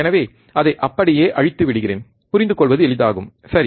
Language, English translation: Tamil, So, let me just rub it down so, it becomes easy to understand, right